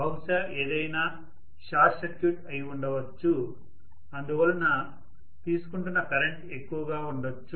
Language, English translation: Telugu, Something has been short circuited probably, so the current drawn is heavy